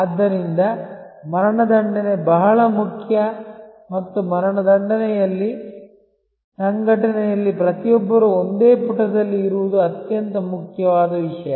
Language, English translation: Kannada, So, execution is very important and in execution, the most important thing is to have everybody on the organization on the same page